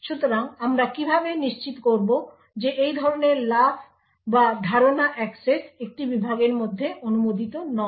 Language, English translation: Bengali, So how do we actually ensure that such jumps or memory accesses are not permitted within a segment